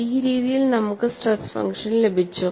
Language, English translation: Malayalam, So, this is the stress function that we had started with